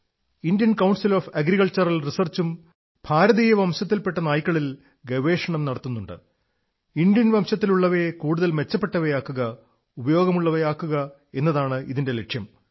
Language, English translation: Malayalam, Research on the Indian breed dogs is also being done by the Indian Council of Agriculture Research with the aim to make them better and more beneficial